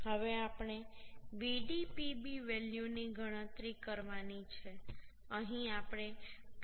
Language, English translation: Gujarati, 57 So now we can find out the value of Vdpb so the Vdpb value will become 2